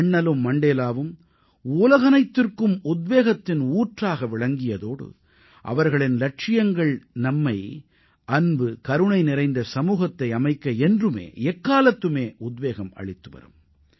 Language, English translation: Tamil, Both Bapu and Mandela are not only sources of inspiration for the entire world, but their ideals have always encouraged us to create a society full of love and compassion